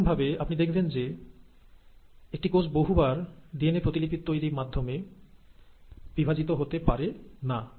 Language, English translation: Bengali, Similarly, you will find that a cell cannot afford to undergo multiple DNA replications and then divide